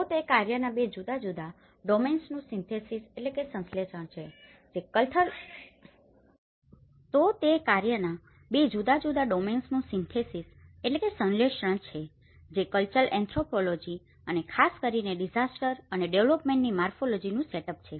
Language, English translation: Gujarati, So that is where it’s synthesis from two different domains of work that is the cultural anthropology and the morphology especially in the disaster and development set up